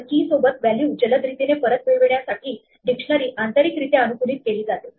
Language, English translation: Marathi, So, dictionaries are optimized internally to return the value with a key quickly